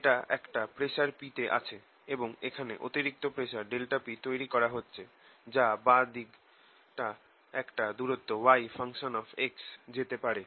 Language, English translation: Bengali, this is some pressure p, and we create a, an extra pressure here, delta p, so that the left inside moves by distance, y x